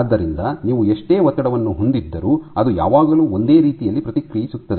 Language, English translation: Kannada, So, no matter how much strain you have it always responds in the same way